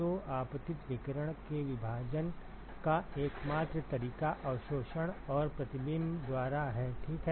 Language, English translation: Hindi, So, the only modes of splitting of the incident irradiation is by absorption and reflection ok